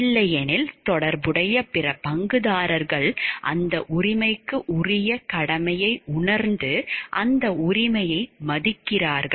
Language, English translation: Tamil, If not the other corresponding stakeholders realizes the duty corresponding to that right and respect that right